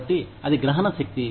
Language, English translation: Telugu, So, that is the comprehensibility